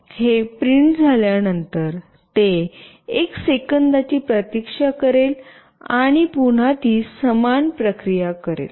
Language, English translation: Marathi, After it gets printed it will wait for 1 second, and again it will do the same process